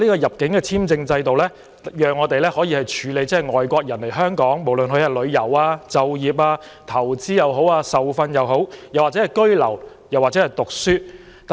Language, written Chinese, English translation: Cantonese, 入境簽證制度讓我們可以處理外地人士申請來港旅遊、就業、投資、受訓、居留或學習。, The immigration visa regime allows us to deal with applications made by non - locals for coming to Hong Kong for sightseeing employment investment training residence or education